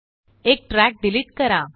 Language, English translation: Marathi, Delete one track